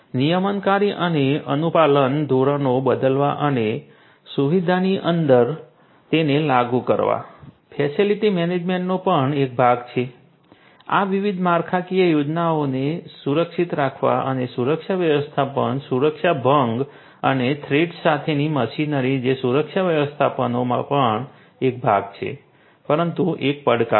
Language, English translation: Gujarati, Changing regulatory and compliance standards and enforcing those within the facility these are also part of the facility management, security management to protect these different infrastructure facilities machinery against security breaches and threats that is also part of security management, but is a challenge